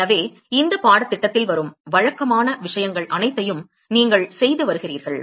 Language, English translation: Tamil, So, all the usual thing that you have been doing in this course